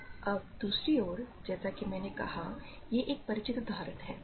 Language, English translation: Hindi, So, now on the other hand so, this as I said, a familiar example